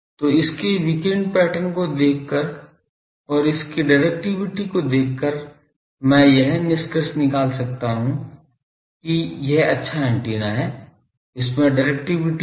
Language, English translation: Hindi, So, by looking at it is radiation pattern and looking at is directivity, I may conclude that no no it is an antenna, it has a directivity